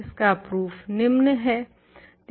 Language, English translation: Hindi, And, the proof of this is the following